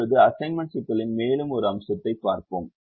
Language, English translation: Tamil, now let us look at one more aspect of the assignment problem